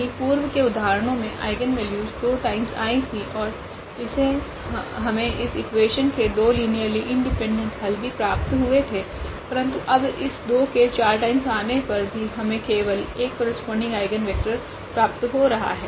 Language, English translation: Hindi, Whereas, in the previous example the eigenvalue was repeated two times and we were also getting two linearly independent solution of this equation, but now though the 2 was repeated 4 times, but we are getting only 1 eigenvector corresponding to this 4 times repeated eigenvalue 2